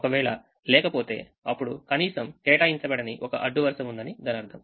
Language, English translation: Telugu, if you don't have, then there is atleast one row that is not assigned